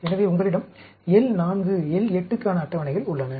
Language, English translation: Tamil, So, you have tables for L 4, L 8